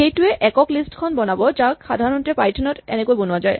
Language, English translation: Assamese, It will create the singleton list that we would normally write in python like this